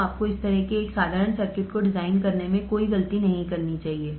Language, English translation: Hindi, So, you should not commit any mistake in designing such a simple circuits